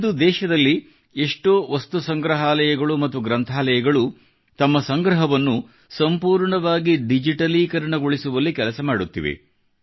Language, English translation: Kannada, Today, lots of museums and libraries in the country are working to make their collection fully digital